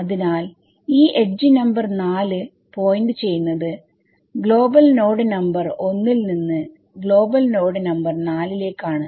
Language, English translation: Malayalam, So, you see this edge number 4 is pointing from global node number 1 to global node number ‘4’